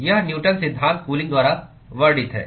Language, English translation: Hindi, It is described by Newton’s law of cooling